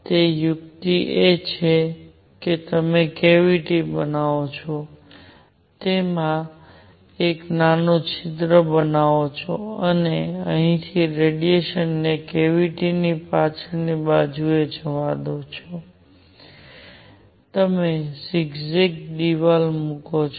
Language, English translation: Gujarati, So, the trick is you make a cavity, make a small hole in it and let radiation go in from here on the back side of the cavity, you put zigzag wall